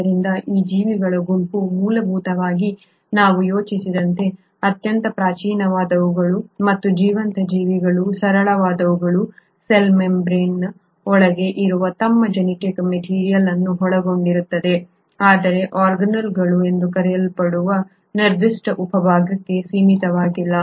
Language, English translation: Kannada, So this group of organisms basically most primitive ones as we think and the simplest of the living organisms, consist of their genetic material which is inside the cell membrane but is not in confined to a specific subpart which is called as the organelle